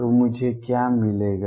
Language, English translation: Hindi, So, what do I get